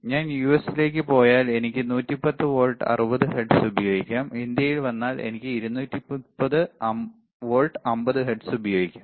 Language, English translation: Malayalam, If I go to US, I can use it 8, 110 volt 60 hertz if I come to India, I can use it at 230 volts 50 hertz